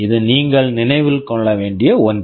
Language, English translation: Tamil, This is something you have to remember